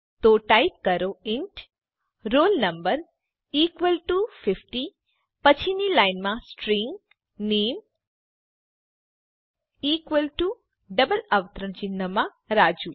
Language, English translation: Gujarati, So type,int roll no equal to 50 next line string name equal to within double quotes Raju